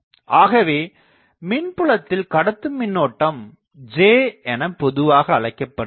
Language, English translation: Tamil, So, this is generally the conducting current that generally call J